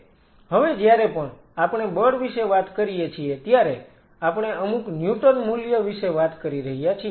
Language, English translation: Gujarati, Now whenever we talk about force, we are talking about some Newton value right something